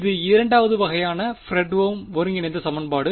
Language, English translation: Tamil, This is a Fredholm integral equation of second kind